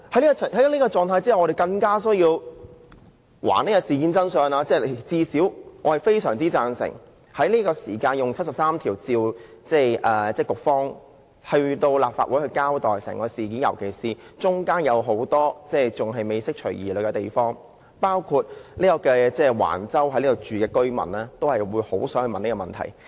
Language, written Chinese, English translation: Cantonese, 在這種狀態之下，我們更有需要還原事件的真相，而最低限度我非常贊成根據《基本法》第七十三條，傳召局方前來立法會交代整件事，尤其是還未釋除疑慮的地方仍有很多，包括橫洲居民在內也很想問的一些問題。, As such it is more important for us to find out the truth of the matter and at least I totally agree to summoning under Article 73 of the Basic Law the Secretary to the Legislative Council to give an account of the matter in particular to clear the numerous doubts and answer questions that many people including residents at Wang Chau would like to ask